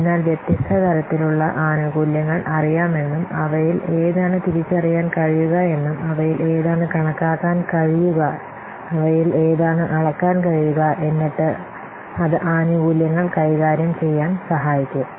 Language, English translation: Malayalam, So we have to, if you know the different types of benefits and which of them can be identified, which of them can be quantified, which of them can be measured, then that will help in managing the benefits